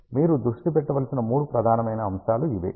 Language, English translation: Telugu, These are the three main aspects you have to focus on